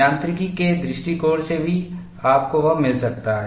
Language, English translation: Hindi, From mechanics point of view also, you could get this